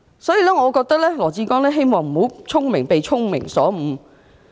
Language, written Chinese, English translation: Cantonese, 所以，我希望羅致光局長不會"聰明反被聰明誤"。, So I hope Secretary Dr LAW Chi - kwong will not fall victim to his own cleverness